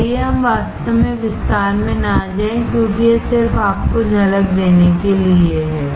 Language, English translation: Hindi, So, let us not go into really detail because this just to give you a glimpse